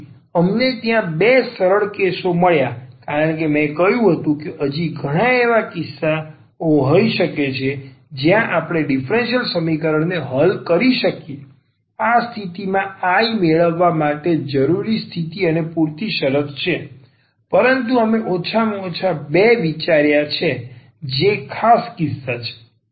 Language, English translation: Gujarati, So, we got these two simplified cases there as I said there can be many more cases where we can solve this differential equation this condition necessary and sufficient condition to get this I, but we have considered at least these two which is special cases